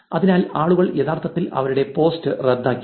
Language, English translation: Malayalam, So, people are actually canceled the post